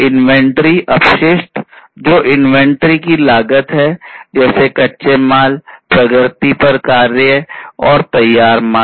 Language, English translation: Hindi, And inventory waste, which is basically the cost of inventory such as raw materials, work in progress, and finished goods